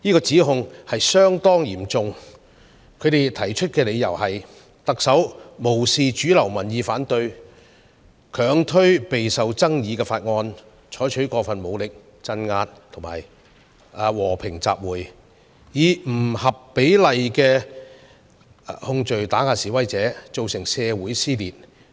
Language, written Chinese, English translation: Cantonese, 這項指控相當嚴重，他們提出的理由是特首無視主流民意反對，強推備受爭議的法案、採取過分武力鎮壓和平集會、以不合比例的控罪打壓示威者、造成社會撕裂。, The allegation is rather serious and the reason they put forward is that the Chief Executive disregarded mainstream opposing views and unrelentingly pushed through a highly controversial bill used excessive force to crack down on peaceful assembly intimidated protesters with disproportionate criminal charges and caused a rift in society